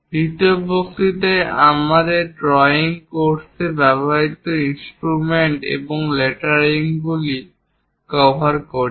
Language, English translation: Bengali, In the second lecture, we are covering drawing instruments and lettering used in our drawing course